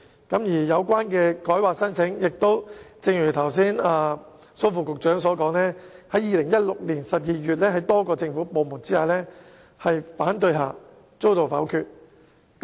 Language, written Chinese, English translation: Cantonese, 至於有關的更改規劃申請，正如剛才蘇副局長所說，於2016年12月在多個政府部門反對下遭到否決。, Its application for a change of the plan as Under Secretary Dr Raymond SO said was negatived in December 2016 amid opposition by a number of government departments